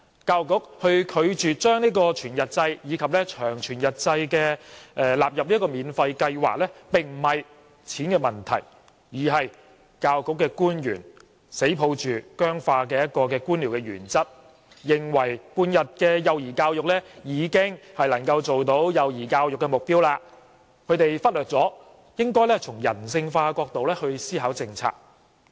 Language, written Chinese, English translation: Cantonese, 教育局拒絕將全日制及長全日制納入免費計劃，這並非金錢的問題，而是教育局官員堅守僵化的官僚原則，認為半日制的幼兒教育已能達到幼兒教育的目標，而忽略了應從人性化的角度思考政策。, The Education Bureau has refused to include whole - day and long whole - day kindergartens in the free kindergarten scheme . This decision is not due to the amount of money involved but the rigid bureaucratic principle upheld by officials of the Education Bureau who think that half - day early childhood education can already achieve the goal of early childhood education . They have neglected that policies should be considered from a humanistic perspective